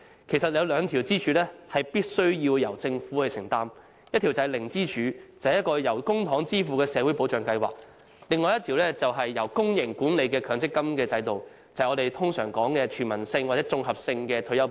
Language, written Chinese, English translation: Cantonese, 其實，有兩根支柱必須由政府承擔，一根是"零支柱"，即由公帑支付的社會保障計劃；另一根是由公營管理的強積金制度，就是我們所講的全民性或綜合性退休保障。, In fact two of the pillars must be undertaken by the Government . One is the zero pillar which is in the form of social protection schemes funded by public money . Another is the mandatory provident fund system managed by public organizations which is the universal or integrated retirement protection we are referring to